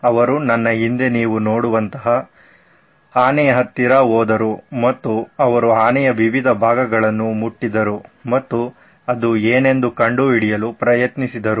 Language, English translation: Kannada, They went close to an elephant like the one you see behind me and they touched different parts of the elephant and tried to figure out what it was